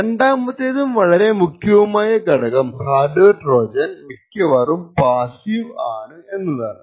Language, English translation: Malayalam, Second and an important property of a hardware Trojan is that the hardware Trojan is mostly passive